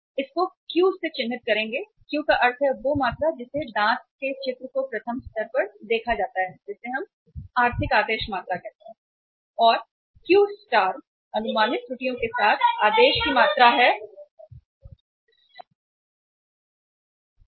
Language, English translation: Hindi, Denote Q, Q means that is quantity that is saw tooth picture first level that we call it as the economic order quantity